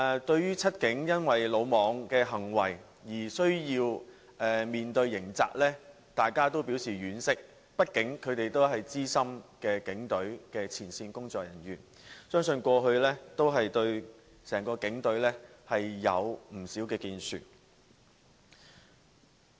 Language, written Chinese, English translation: Cantonese, 對於"七警"因魯莽行為而需要面對刑責，大家均表示婉惜，畢竟他們都是警隊的資深前線工作人員，相信他們過去對整個警隊也有不少建樹。, It is regrettable that the Seven Cops have to face criminal liability due to reckless behaviour . After all they are veteran frontline officers who are believed to have made commendable contribution to the Police Force in the past